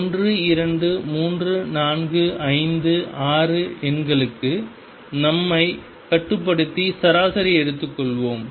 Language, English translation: Tamil, Let us restrict ourselves to 1 2 3 4 5 6 numbers and take the average